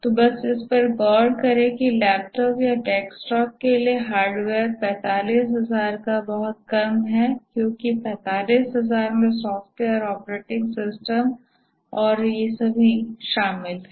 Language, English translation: Hindi, Just look at this that the raw hardware for the laptop or desktop is much less than 45,000 because 45,000 also includes the software operating system and so on